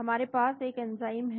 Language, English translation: Hindi, We have an enzyme